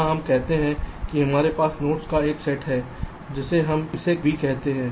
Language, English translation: Hindi, here lets say that we have the set of nodes, lets call it capital v, and m denotes the size of each cluster